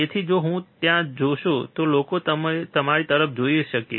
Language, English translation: Gujarati, So, if you see there so, the people can also look at you yeah